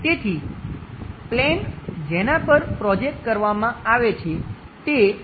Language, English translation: Gujarati, So, the planes on which it is projected is this